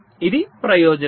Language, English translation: Telugu, this is the advantage